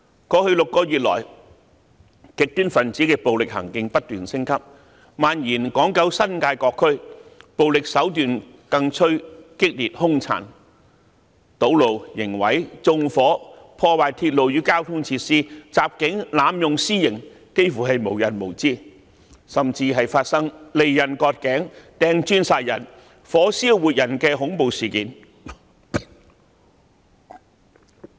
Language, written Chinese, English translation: Cantonese, 過去6個月來，極端分子的暴力行徑不斷升級，蔓延至港九新界各區，暴力手段更趨激烈兇殘，堵路、刑事毀壞、縱火、破壞鐵路與交通設施、襲警、濫用私刑幾乎是無日無之，甚至發生利刃割頸、擲磚殺人、火燒活人的恐怖事件。, In the past six months violent acts of the radicals have escalated and spread all over the territory . These people have resorted to more violent and cruel means . They blocked roads committed criminal damage launched arson attacks damaged railway and transport facilities attacked police officers and executed vigilante justice day in day out